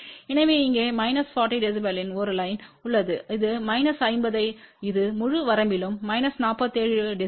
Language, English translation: Tamil, So, here is a line for minus forty db this is minus 50 you can see that this is less than minus 47 db over the entire range